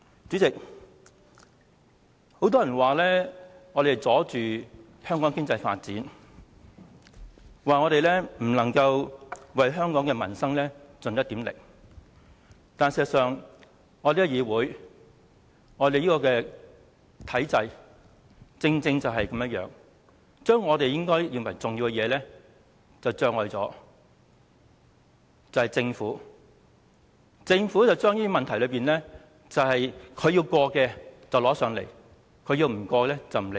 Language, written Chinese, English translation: Cantonese, 主席，很多人說我們妨礙香港經濟發展，不能為香港的民生盡一點力，但事實上，這個議會、體制正是這樣，政府在我們認為重要的事情上加設障礙，把它要通過的事項交到立法會，不想通過的便不理會。, President many people say that we are impeding the economic development of Hong Kong and making no effort for the peoples livelihood . Yet in reality this is how this legislature and the system are operating . Regarding issues we consider important the Government sets hurdles